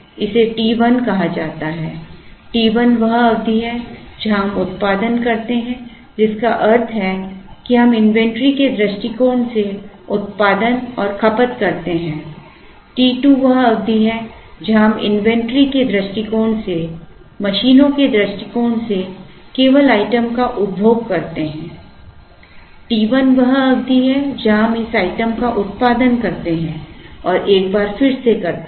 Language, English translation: Hindi, This is called t 1, t 1 is the period where we produce, which means we produce and consume from an inventory point of view, t 2 is the period where we only consume the item from the inventory point of view from the machines point of view t 1 is the period, where we produce this item and once again